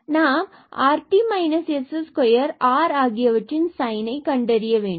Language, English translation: Tamil, So, we have this rt and minus this s square